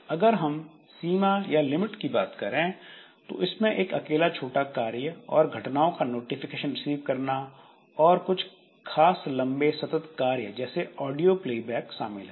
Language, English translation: Hindi, It limits the limits include single short task and receiving info, you know, notification of events, specific long run long running task like audio playback